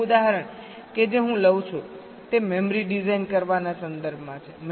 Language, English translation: Gujarati, ok, the last example that i take here is with respect to designing memory